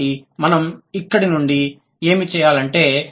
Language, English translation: Telugu, So, what should we do from here